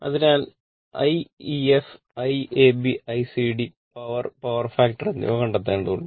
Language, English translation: Malayalam, So, you have to find out I ef, I ab, I cd, power and power factor